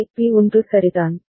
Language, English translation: Tamil, So, B is remaining at 1 all right